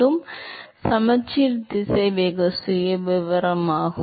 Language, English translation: Tamil, So, it is a symmetric velocity profile